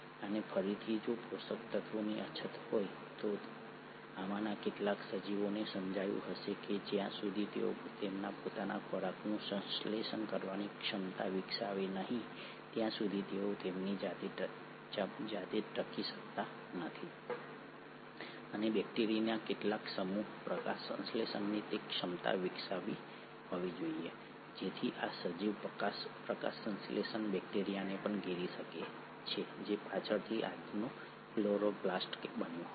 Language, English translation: Gujarati, And again if there were scarcity of nutrients, some of these organisms must have realised that they cannot survive on their own unless they develop the ability to synthesise their own food and some set of bacteria must have developed that ability of photosynthesis so this organism might have even engulfed a photosynthetic bacteria which later ended up becoming today’s chloroplast